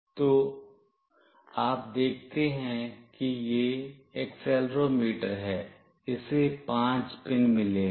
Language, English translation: Hindi, So, you see this is the accelerometer, it has got 5 pins